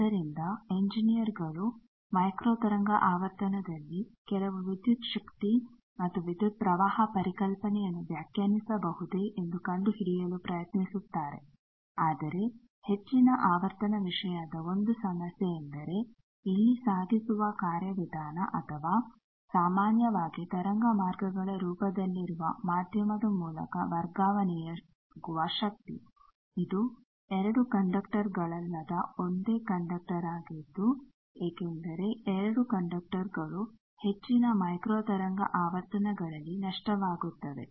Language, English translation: Kannada, So, engineers try to find that can we have some voltage and current concept defined at microwave frequency, but 1 problem of this high frequency thing is here the transport mechanism or the power that gets transferred through the medium that is generally in the form of waveguides which are a single conductor which are not 2 conductors because 2 conductors becomes losse higher microwave frequencies